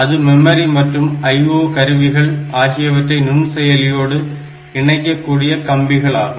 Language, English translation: Tamil, So, this is the wires that connect the memory and the I O devices to the microprocessor